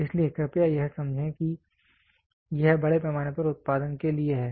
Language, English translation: Hindi, So, please understand this is for mass production